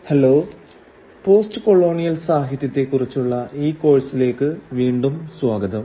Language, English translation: Malayalam, Hello and welcome back to this course on postcolonial literature